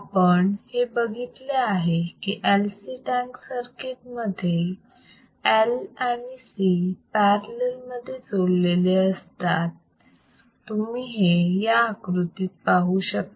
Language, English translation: Marathi, ASo, as we have discussed, LC tankends circuit consistss of L and C connected in parallel as shown in figure you can see here right